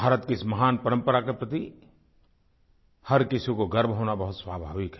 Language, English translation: Hindi, It is natural for each one of us to feel proud of this great tradition of India